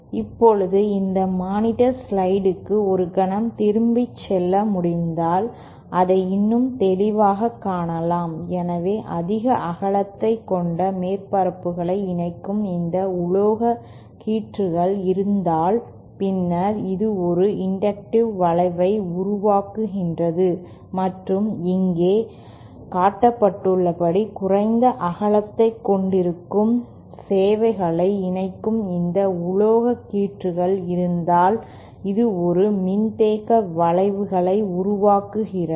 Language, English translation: Tamil, Now if we can go back to this slide monitor slide for a moment here we can see that more clearly, so if we have this metal strips connecting the surfaces which have greater width, then this produces an inductive effect and if we have these metal strips connecting the services which have lesser width as shown here, than this produces a capacitive effect